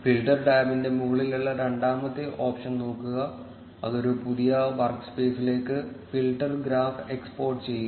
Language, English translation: Malayalam, Look at the second option at the top of the filters tab which says export filter graph to a new work space